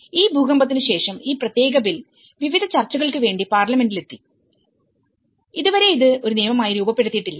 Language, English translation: Malayalam, So, this is where this after the earthquake, this particular bill has been in the parliament in various discussions, until now it has not been formulated as an act